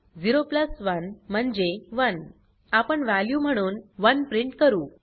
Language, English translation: Marathi, 0 plus 1 is 1 We print the value as 1